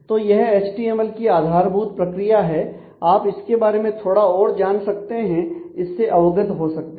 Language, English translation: Hindi, So, this is the basic mechanism of HTML you can learn little bit more about that and get familiar with it